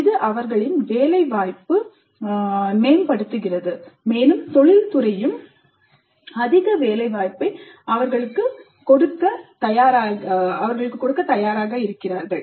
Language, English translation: Tamil, So this in turn enhances their placement opportunity and industry also finds them to be more employable